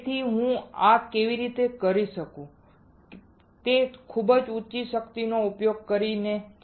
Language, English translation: Gujarati, So, how can do I do this is by applying very high power